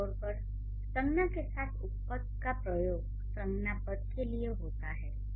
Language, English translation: Hindi, Pronouns are generally used in place of nouns